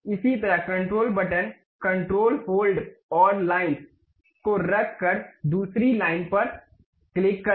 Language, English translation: Hindi, Similarly, click the other line by keeping control button, control hold and line